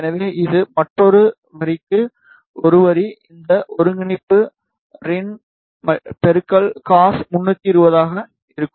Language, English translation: Tamil, So, this is one line for another line, this coordinate will be rin cos 320